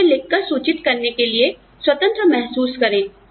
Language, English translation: Hindi, And, feel free to write to me